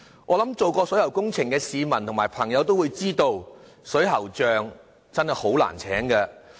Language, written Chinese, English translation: Cantonese, 我想做過水喉工程的市民和朋友也知道，水喉匠真的很難聘請。, For those who have engaged plumbers to work for their premises they will know very well how difficult it is to hire a plumber